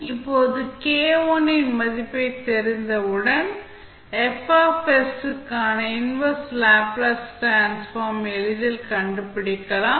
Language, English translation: Tamil, Now, once the value of k i are known, we can easily find out the inverse Laplace transform for F s